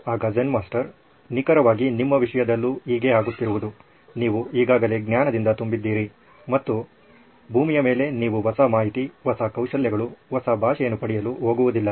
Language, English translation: Kannada, Zen Master said exactly what is happening with you, you are already full up to the brim with knowledge and there’s no way on earth you are going to get new information, new skills, new language